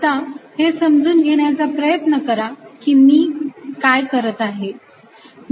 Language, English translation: Marathi, so please understand what i am doing